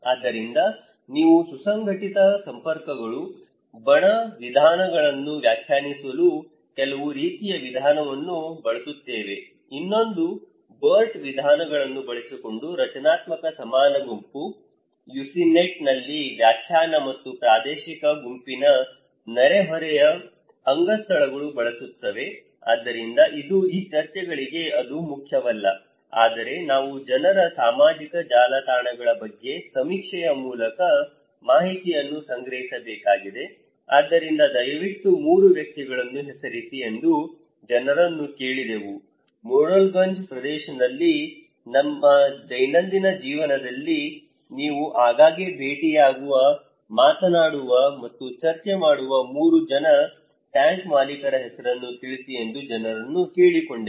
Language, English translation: Kannada, So, we use some kind of method to define cohesive networks, faction methods, another one is structural equivalent group by using Burt methods, definition in UCINET and also spatial group neighbourhood affiliations anyway, so this is not that important for these discussions but we need to collect the information through survey about people's social networks so, we asked the people that okay, kindly name as 3 persons; 3 tank owners in this area in Morrelganj area with whom you often meet, talk and discuss in any issues in your daily life